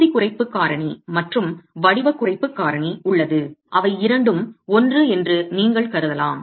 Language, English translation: Tamil, There is an area reduction factor in a shape reduction factor which come in later